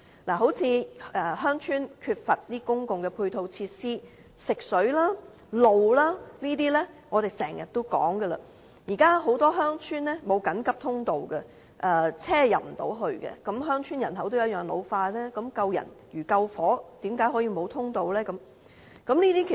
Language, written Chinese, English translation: Cantonese, 例如鄉村欠缺公共配套設施，如食水、道路等問題，我們經常提出，現時很多鄉村沒有緊急通道，車輛無法進入，鄉村人口同樣會老化，救人如救火，為何可以沒有通道呢？, For example many rural areas lack adequate ancillary facilities such as water supply and road access and so on . Moreover we frequently point out a lack of emergency vehicle access in many villages . Rural areas have an ageing population too so given the importance of relief operation during fire hazards how come no emergency access is available?